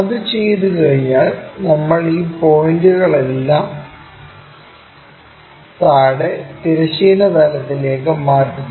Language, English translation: Malayalam, Once that is done, we transfer all these points onto horizontal plane, down